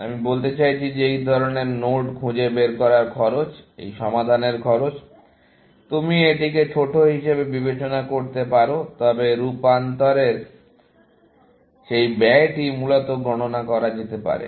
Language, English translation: Bengali, So, that is what I mean by saying that the cost of finding such nodes, the cost of this solution is; you can consider it to be small, but that cost of transformation can be counted essentially